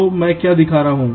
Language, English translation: Hindi, so what i am showing